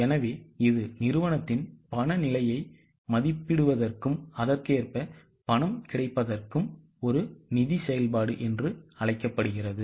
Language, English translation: Tamil, So, this is known as a finance function for the company to estimate the cash position and accordingly make the availability of cash